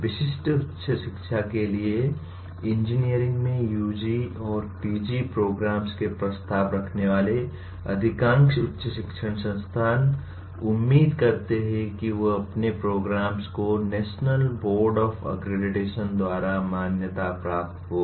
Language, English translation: Hindi, In coming to the specific higher education, most of higher education institutions offering UG and PG programs in engineering they would expect their programs to be accredited by the National Board of Accreditation